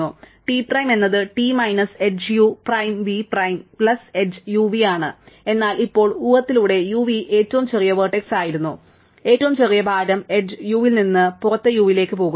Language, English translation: Malayalam, So, T prime is T minus edge u prime v prime plus the edge u v, but now by assumption u v was the smallest vertex, smallest weight edge going from inside u to outside u, right